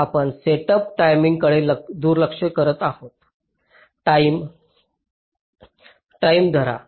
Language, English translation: Marathi, we are ignoring setup time, hold time